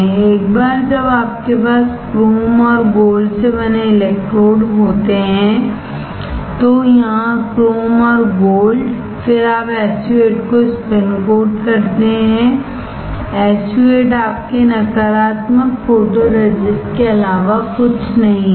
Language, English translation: Hindi, Once you have interdigitated electrodes made from chrome and gold, here chrome and gold then you spin coat SU 8; SU 8 is nothing but your negative photoresist